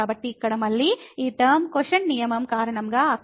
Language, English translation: Telugu, So, here again this term will go there because this quotient rule